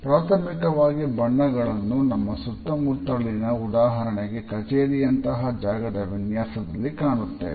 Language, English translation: Kannada, Primarily, we look at colors in our surroundings and in the design of a space, offices space for example